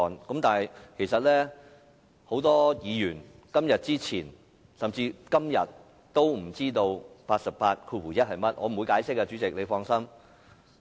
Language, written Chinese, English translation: Cantonese, 然而，很多議員在今天以前，甚至到了今天也不知道第881條的內容是甚麼。, However before today or even up till today many Members may still not know what RoP 881 is about